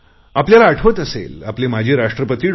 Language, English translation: Marathi, You may remember that the former President of India, Dr A